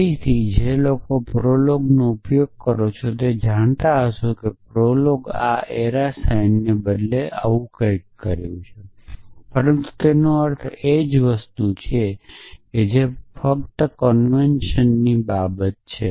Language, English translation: Gujarati, So, again those of you use prolog would know that prolog this is something like this instead of the arrow sign, but it means a same thing that is only a matter of convention